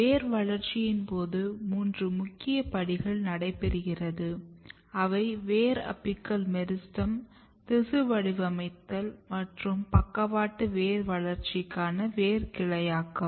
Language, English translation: Tamil, So, this is just to remind that there are three major steps which takes place during the process of root development; the root apical meristem, tissue patterning and root branching which is basically lateral root development